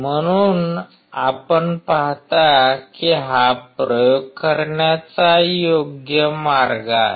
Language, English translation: Marathi, So, you see this is a right way of performing the experiments